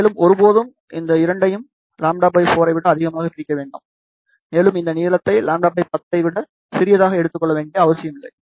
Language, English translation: Tamil, Never ever take the separation between the 2 as more than lambda by 4, and also there is not much need to take this length smaller than lambda by 10 ok